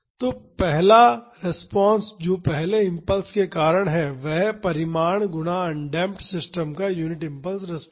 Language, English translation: Hindi, So, the first response that is the response due to this first impulse is the magnitude multiplied by the unit impulse response of the undamped system